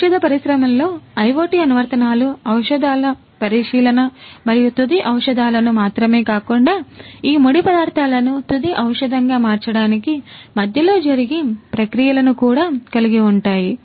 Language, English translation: Telugu, So, IoT applications in pharmaceutical industry includes examination of the drugs and not just the final drugs, but also the intermediate ones through which the processes that are incurred in between in order to transform these raw materials into the final drugs